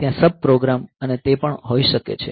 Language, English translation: Gujarati, So, there may be sub programs and of that